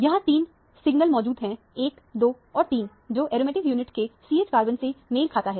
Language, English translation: Hindi, There are three signals present here – 1, 2 and 3, which corresponds to the CH carbons of the aromatic unit